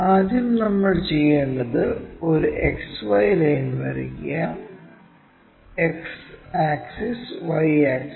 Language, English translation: Malayalam, First what we have to do, draw a XY line; X axis Y axis